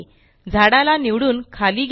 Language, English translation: Marathi, Let us select the tree and move it down